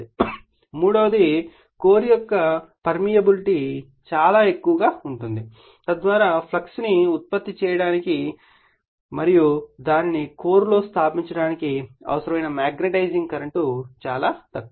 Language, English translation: Telugu, Now number 3, the permeability of the core is very high right so, that the magnetizing current required to produce the flux and establish it in the core is negligible right